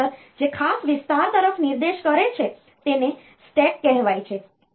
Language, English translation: Gujarati, And this memory this register points to is called a special area called stack